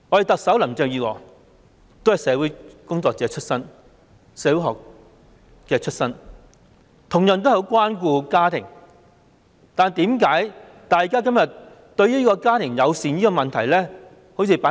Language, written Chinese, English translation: Cantonese, 特首林鄭月娥也是社會學出身，同樣很關顧家庭，但為甚麼對家庭友善問題置之不理？, Chief Executive Carrie LAM also has a background in sociology and she likewise cares for her family very much